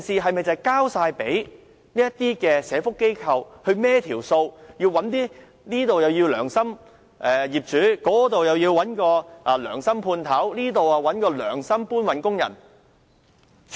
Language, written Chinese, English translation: Cantonese, 難道要社福機構"跑數"，這裏找些良心業主，那裏找些良心判頭，這裏再找良心搬運工人？, Are social enterprises supposed to look for some kindhearted property owners here some kindhearted contractors there and then some kindhearted labourers somewhere in order to meet the housing quota?